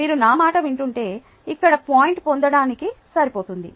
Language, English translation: Telugu, ah, if you listen to me, thats good enough to get the point here